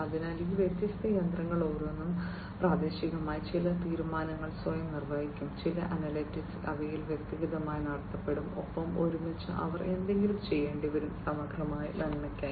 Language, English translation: Malayalam, So, each of these different machines will locally perform certain decisions themselves, certain analytics will be performed in them individually plus together also they will have to do something, for the holistic good